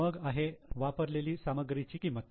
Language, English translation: Marathi, Then cost of material consumed